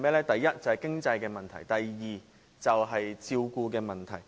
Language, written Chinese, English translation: Cantonese, 第一，經濟問題；及第二，照顧問題。, First it is the financial problem; and second it is the caring problem